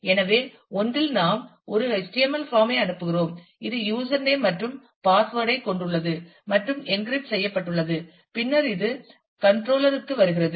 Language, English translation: Tamil, So, in one we send a form HTML form which, has the username and the password and possibly encrypted, that comes to the controller ah